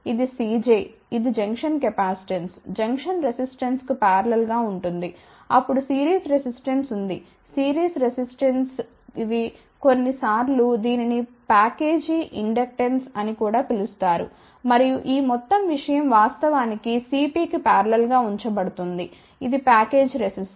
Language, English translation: Telugu, This is a C j which is a junction capacitance, in parallel with junction resistance, then there is a series resistance, there is a series inductance, sometimes this is also known as package inductance also and this whole thing is actually put in parallel with the C p, which is a package capacitor